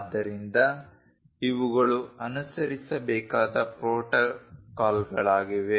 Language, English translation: Kannada, So, these are the protocols which one has to follow